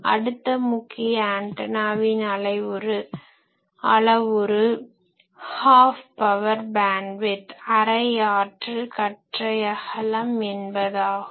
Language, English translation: Tamil, Now next we go to another important parameter that is of antenna that is called Half Power Beamwidth